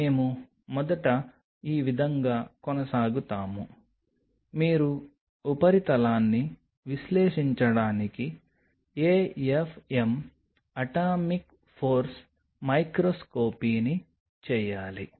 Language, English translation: Telugu, So, this is how we will be proceeding first you should do an AFM atomic force microscopy to analyze the surface